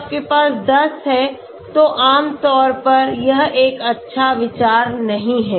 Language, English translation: Hindi, If you have 10 maybe so this generally is not a good idea okay